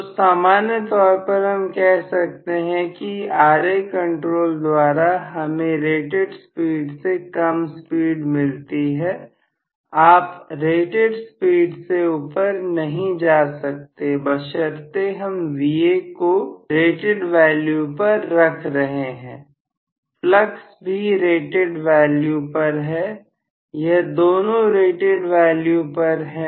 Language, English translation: Hindi, So, in general I can say Ra control will always result is speed less than rated speed, you can never go above the rated speed provided I am keeping Va at rated value and flux is also at rated value, both are at rated value